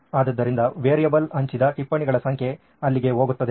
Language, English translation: Kannada, So the variable goes there, the number of notes shared The number of notes shared